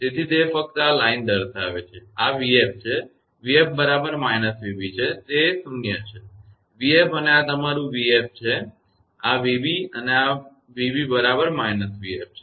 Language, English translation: Gujarati, So, it is just showing this line and this is v f; v f is equal to minus v b, so it is it nullified; v f and this is your v f and this v b and v b is equal to minus v f